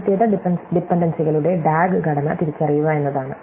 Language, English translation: Malayalam, The first thing is to identify DAG structure of the dependencies, right